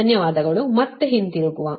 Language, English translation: Kannada, right, thank you, then again will come back